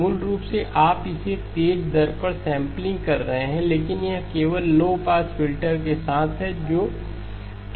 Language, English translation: Hindi, Basically, you are sampling it at a faster rate but that is only with the low pass filter that is present okay